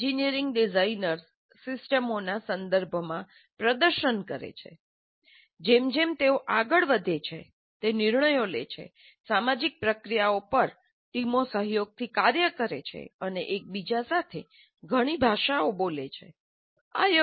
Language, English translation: Gujarati, Engineering designers perform in a systems context, making decisions as they proceed, working collaboratively on teams in a social process, and speaking several languages with each other